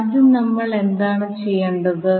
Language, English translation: Malayalam, So first what we have to do